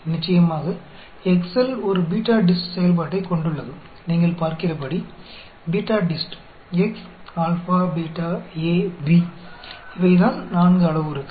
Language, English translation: Tamil, Of course, Excel also has a BETADIST function, as you can see, you know, BETADIST, x, alpha, beta, A, B; these are the 4 parameters